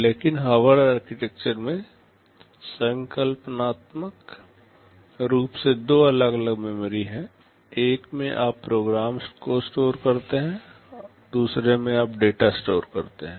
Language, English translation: Hindi, But in Harvard architecture conceptually there are two separate memories; in one you store the program, in another you store the data